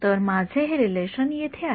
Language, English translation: Marathi, So, I have this relation over here